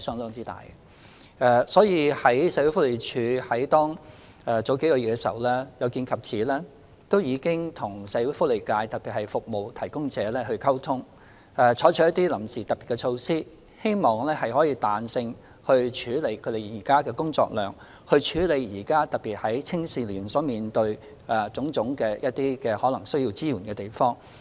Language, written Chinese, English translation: Cantonese, 有見及此，社署在數月前已和社會福利界特別是服務提供者溝通，以期採取臨時的特別措施，彈性處理現時的工作量，尤其是在提供青少年現時需要的種種支援方面。, Such being the case SWD has already liaised with the social welfare sector a few months ago to explore the introduction of special interim measures to flexibly cope with the existing workload particularly in providing youngsters with various kinds of support they need at present